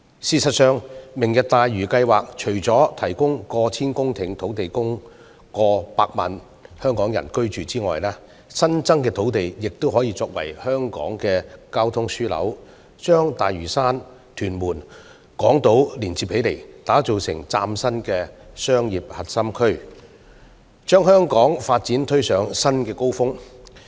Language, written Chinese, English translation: Cantonese, 事實上，"明日大嶼願景"計劃除了提供過千公頃土地供過百萬港人居住外，新增土地亦可作為香港的交通樞紐，把大嶼山、屯門及港島連接起來，打造成嶄新的核心商業區，把香港的發展推上新高峰。, In fact under the Lantau Tomorrow Vision programme in addition to the provision of more than a thousand hectares of land for housing over 1 million people in Hong Kong the newly formed land can also serve as Hong Kongs transport hub linking Lantau Tuen Mun and Hong Kong Island for the creation of a brand new core business district thereby elevating Hong Kong to new heights of development